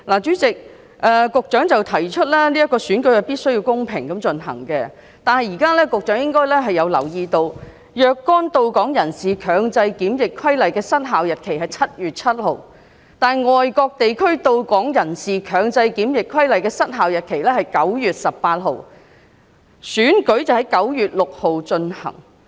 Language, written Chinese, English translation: Cantonese, 主席，局長提出選舉必須公平地進行，但局長應該留意到，《若干到港人士強制檢疫規例》的失效日期為7月7日，但《外國地區到港人士強制檢疫規例》的失效日期為9月18日，立法會選舉則在9月6日進行。, President the Secretary has said that the election has to be conducted in a fair manner . However the Secretary should note that the expiry date of the Compulsory Quarantine of Certain Persons Arriving at Hong Kong Regulation is 7 July while the expiry date of the Compulsory Quarantine of Persons Arriving at Hong Kong from Foreign Places Regulation is 18 September and the Legislative Council General Election will take place on 6 September